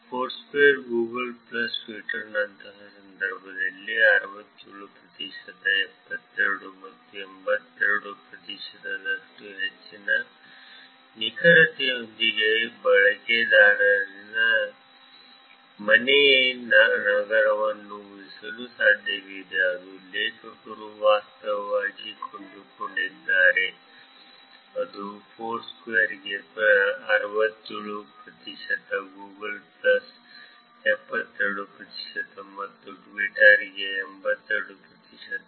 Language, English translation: Kannada, The authors actually find that it is possible to infer the user home city with the high accuracy around 67 percent, 72 percent and 82 percent in the case of Foursquare, Google plus and Twitter, which is 67 percent for Foursquare, 72 percent for Google plus and 82 percent for Twitter